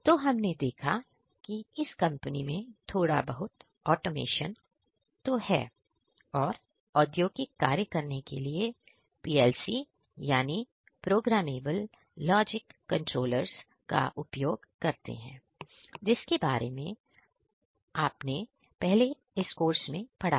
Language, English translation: Hindi, So, what we have seen is that in this particular company there is some automation, they use PLC Programmable Logic Controllers, which you have studied in this particular course